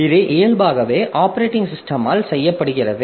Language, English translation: Tamil, So, it is inherently done by the operating system